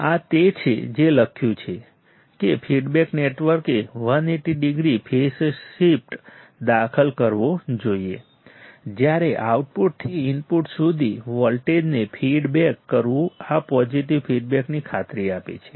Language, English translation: Gujarati, This is what is written that the feedback network must introduce a phase shift of 180 degree, while feeding back the voltage from output to the input this ensures the positive feedback